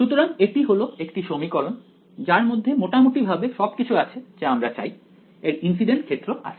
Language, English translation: Bengali, So, this is an equation which has it has pretty much everything we want it has the incident field